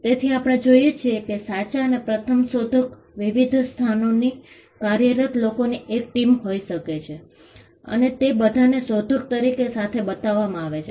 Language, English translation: Gujarati, So, we are looking at a true and first inventor could be a team of people working from different locations and they are all shown together as the inventor